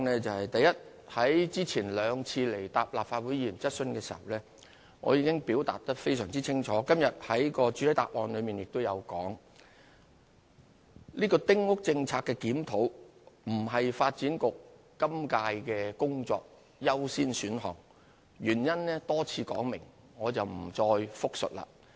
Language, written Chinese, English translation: Cantonese, 第一，在之前兩次前來立法會回答議員的質詢時，我已經清楚表明，而今天亦在主體答覆中指出，丁屋政策的檢討並不是發展局今屆工作的優先選項，原因已多次說明，我不再複述。, Firstly when I replied to Members questions at the Legislative Council on the previous two occasions I already stated clearly and I have also pointed out in the main reply today that the review on the Policy would not be a priority task of the Development Bureau in the current term for which the reasons have been elucidated on a number of occasions . I am not going to repeat them